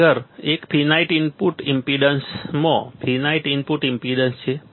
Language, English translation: Gujarati, Next one is in finite input impedance in finite input impedance